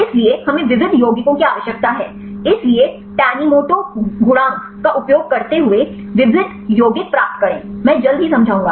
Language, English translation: Hindi, So, we need to have the diverse compounds; so get the diverse compounds using tanimoto coefficient; I will explain is soon